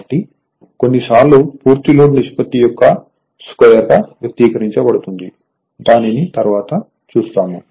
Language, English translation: Telugu, So, sometimes you expressed as a square of square of the ration of the full load rather right later we will see that